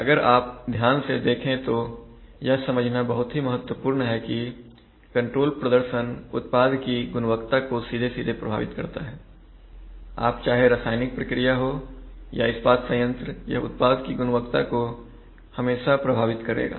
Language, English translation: Hindi, If you take a bird's eye view it is very important to understand that control performance directly affects product quality whether it is a chemical process control, whether it is a steel plant, it will always affect product quality